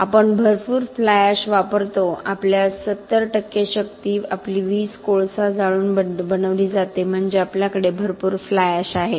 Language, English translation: Marathi, We use a lot of fly ash about 70 percent of our power our electricity is made by burning coal so that means we have a lot of fly ash